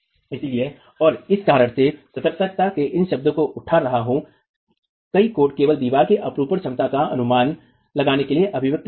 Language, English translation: Hindi, So, and the reason why I'm raising this word of caution is many codes give only this expression to estimate the shear capacity of a wall